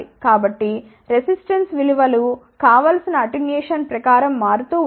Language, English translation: Telugu, So, that the resistance values vary according to the attenuation desire